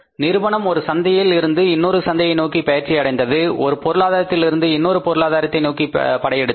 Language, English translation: Tamil, Companies started moving from the one market to another market, one economy to the another economy